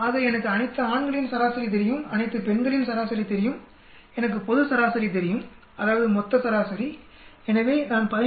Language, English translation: Tamil, So I know the average of all the males, I know average of females, I know the global average that means total average so I will subtract 15